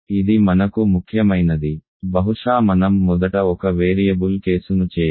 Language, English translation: Telugu, This is important for us maybe I should first do the one variable case